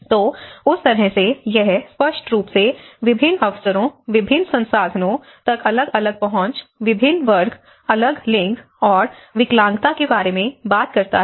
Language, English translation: Hindi, So, in that way, it obviously talks about different opportunities, different access to certain resources, different class, different gender and the disability